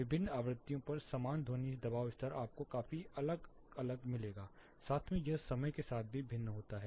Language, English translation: Hindi, The same sound pressure level at different frequencies you will find a considerable difference as well as with respect to time